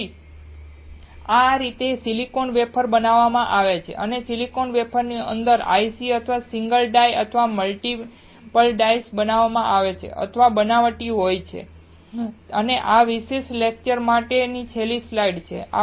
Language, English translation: Gujarati, So, this is how the silicon is wafer is made and the ICs or single die or multiple dies within the silicon wafers are manufactured or fabricated and this is the last slide for this particular lecture